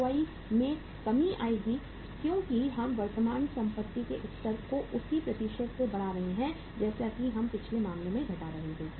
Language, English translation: Hindi, ROI will decrease because we are increasing the level of current assets now by same percentage as we were reducing in the previous case